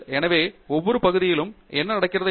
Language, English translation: Tamil, So, that is what happens in every single area